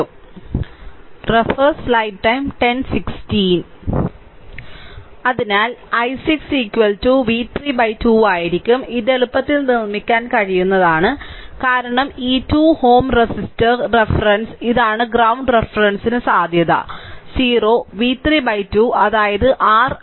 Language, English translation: Malayalam, So, i 6 will be is equal to v 3 by 2 easily you can make it because this 2 ohm resistor reference, this is ground reference potential is 0 so, v 3 by 2 that is your i 6 right